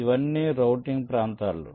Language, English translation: Telugu, ok, these are all routing regions